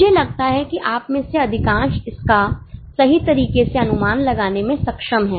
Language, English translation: Hindi, I think most of you are able to guess it correctly